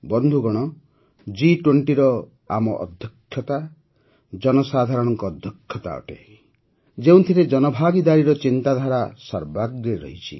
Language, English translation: Odia, Friends, Our Presidency of the G20 is a People's Presidency, in which the spirit of public participation is at the forefront